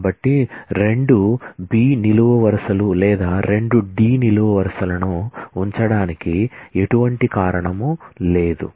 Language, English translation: Telugu, So, there is no reason to keep 2 B columns or 2 D columns